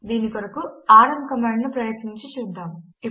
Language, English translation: Telugu, Let us try the rm command to do this